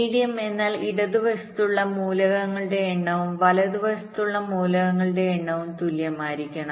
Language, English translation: Malayalam, median means the number of elements to the left and the number of elements to the right must be equal